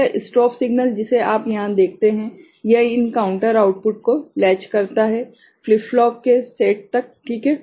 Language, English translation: Hindi, So, this strobe signal that you see over here, it latches the latches these counters output to a set of flip flops ok